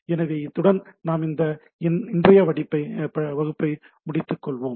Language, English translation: Tamil, So, with this we let us end our today’s class